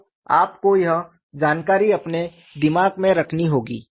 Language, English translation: Hindi, So, you need to have this information the back of your mind